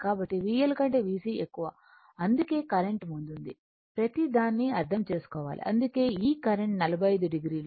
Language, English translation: Telugu, So, V C is greater than V L that is why current is leading right we have to understand each and everything, right that is that is why this current is 45 degree